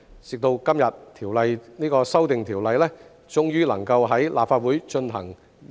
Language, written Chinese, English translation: Cantonese, 直到今日，《條例草案》終於能夠在立法會進行二讀。, Today the Bill can finally be read the second time in the Legislative Council